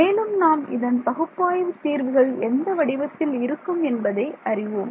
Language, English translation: Tamil, And we already know that this has analytical solutions of which form